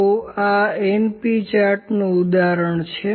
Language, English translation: Gujarati, So, this is an example of np chart